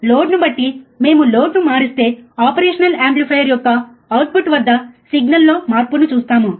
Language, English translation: Telugu, so, depending on the load, if we vary the load we will see the change in the signal at the output of the operational amplifier